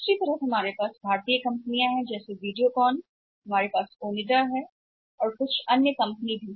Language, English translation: Hindi, On the other side we have Indian companies like Videocon, Onida or some other companies also